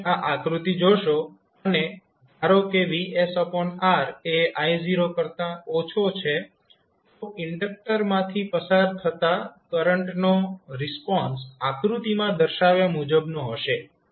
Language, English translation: Gujarati, So, if you see this particular figure and suppose vs by r is less than I naught so your response of the current across flowing through the inductor would be as shown in the figure